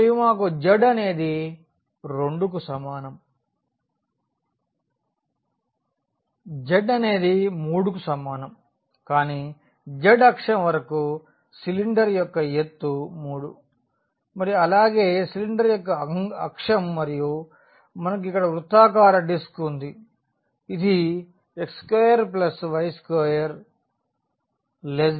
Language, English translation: Telugu, And, we have from z is equal to 2 to z is equal to 3 that is the height of the cylinder along the z axis and that is the axis of the cylinder as well